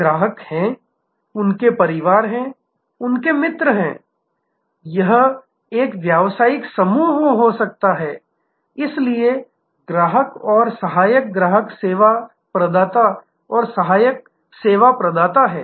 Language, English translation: Hindi, So, there are customers, their families, their friends their it can be a business groups, so there are customers and subsidiary customers service providers and subsidiary service providers